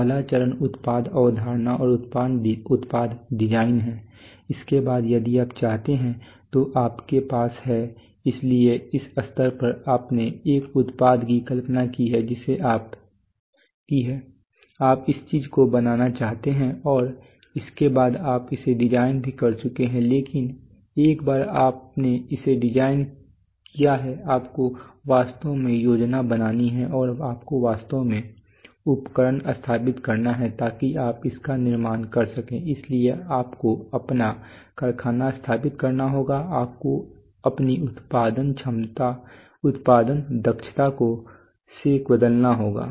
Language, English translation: Hindi, The first phase is product conception and product design right, after that you have if you want to, so at this stage you have conceived a product that you want to make this thing after that you want to and you have also designed it but once you have designed it you have to actually plan and you have to actually install equipment so that you can manufacture it so you have to set up your factory you have to you have to change your production facility right